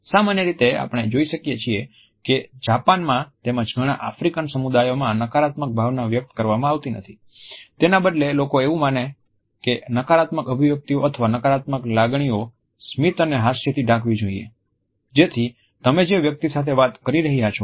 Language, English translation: Gujarati, In Japan as well as in many African communities we find that the negative emotion is normally not expressed, rather people think that the negative expressions or negative feelings and emotions have to be masked with his smiles and laughters, so that the other person you are talking to does not get in inkling of the personal grief